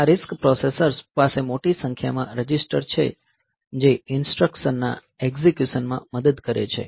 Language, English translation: Gujarati, So, compared to CISC, these RISC processors have got more number of registers that helps in the instruction execution